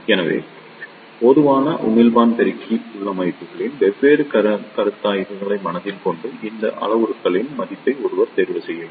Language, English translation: Tamil, So, one should choose the value of these parameters by keeping in mind different considerations of the common emitter amplifier configurations